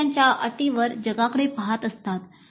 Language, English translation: Marathi, They are looking at the world on their own terms